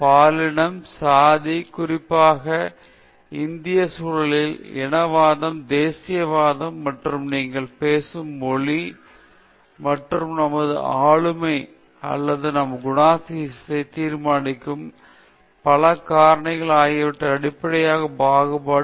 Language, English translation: Tamil, Discrimination on the basis of gender, caste particularly in the Indian context, race, nationality, and the language you speak, and several other factors which decide our personality or our character